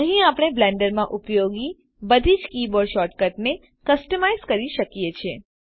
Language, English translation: Gujarati, Here we can customize all the keyboard shortcuts used in Blender